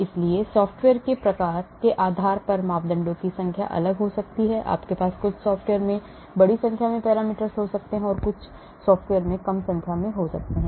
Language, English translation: Hindi, so depending upon the type of software the number of parameters may vary and you may have large number of parameters in some software and some software may have less number